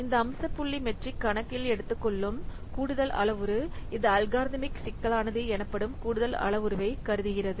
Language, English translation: Tamil, So this feature point metric, it takes in account an extra parameter, it considers an extra parameter that is known as algorithm complexity